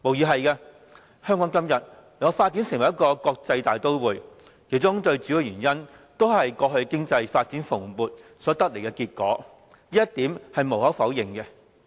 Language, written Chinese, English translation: Cantonese, 香港今天能夠發展成為一個國際大都會，最主要的原因無疑是過去經濟發展蓬勃，這一點是無可否認的。, Admittedly our robust economic growth was the most important factor driving Hong Kongs evolution into a global metropolis